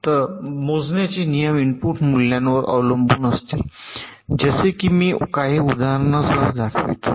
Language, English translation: Marathi, the rules for computation will depend on the input values, like i shall show with some examples